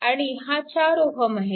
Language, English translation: Marathi, 4 is equal to 3